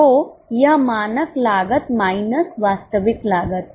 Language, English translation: Hindi, So, it is standard cost minus actual cost